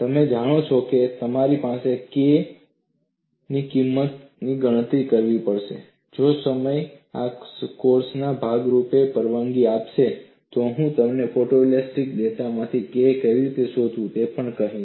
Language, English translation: Gujarati, You know you have to calculate the value of K if time permits as part of this course I would also tell you how to find out K from photo elastic data